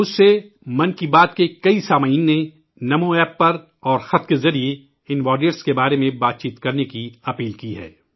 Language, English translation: Urdu, Many listeners of Mann Ki Baat, on NamoApp and through letters, have urged me to touch upon these warriors